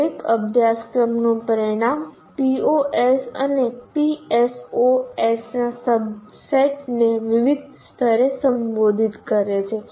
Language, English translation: Gujarati, And each course outcome addresses a subset of POs and PSOs to varying levels